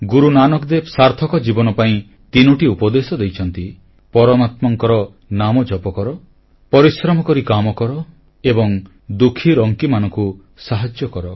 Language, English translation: Odia, Guru Nanak Dev ji voiced three messages for a meaningful, fulfilling life Chant the name of the Almighty, work hard and help the needy